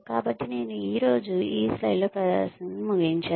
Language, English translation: Telugu, So, I will end the presentation with this slide today